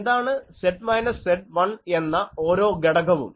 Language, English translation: Malayalam, What is Z is equal to minus 1